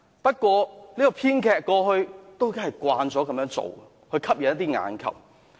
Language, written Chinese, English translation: Cantonese, 不過，這位編劇過去都習慣這樣做，以吸引眼球。, Yet this is what the scriptwriter has done repeatedly in the past to attract attention